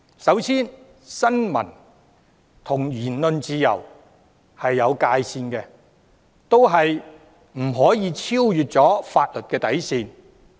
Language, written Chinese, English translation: Cantonese, 首先，新聞自由與言論自由是有界線的，也不可超越法律的底線。, First of all freedom of the press and freedom of speech have limits and they cannot go beyond the bottom line of the law